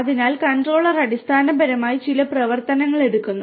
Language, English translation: Malayalam, So, the controller basically takes certain actions right